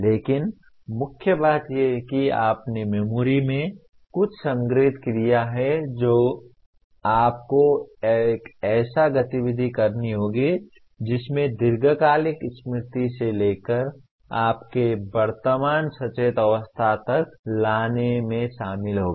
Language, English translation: Hindi, But the main thing is you have stored something in the memory and you have to perform an activity that will involve in bringing from a long term memory to your present conscious state